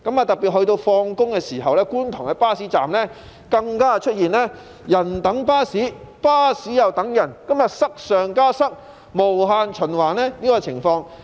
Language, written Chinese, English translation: Cantonese, 到了下班時分，觀塘的巴士站更出現"人等巴士、巴士又等人"的現象，塞上加塞的情況無限循環。, During the evening peak hours we can see passengers waiting for buses and buses waiting for passengers at bus stops in Kwun Tong as the cycle of congestion repeats over and over again